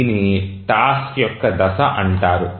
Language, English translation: Telugu, So, this is called as the phase of the task